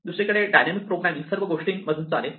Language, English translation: Marathi, On the other hand our dynamic programming will blindly walk through everything